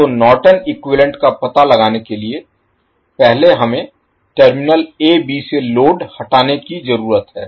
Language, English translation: Hindi, So, to find out the Norton’s equivalent first we need to remove the load from terminal a b